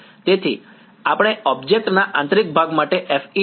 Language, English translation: Gujarati, So, we want to do use FEM for interior of object